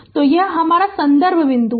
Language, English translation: Hindi, So, this is my reference point